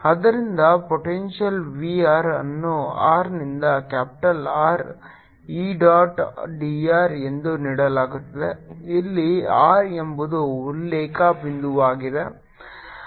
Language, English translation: Kannada, so the potential b r is given by r, two by r to capital r e dot d r where r is the reference point